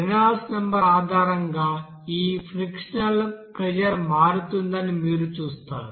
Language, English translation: Telugu, You will see that based on that Reynolds number this friction factor will be changing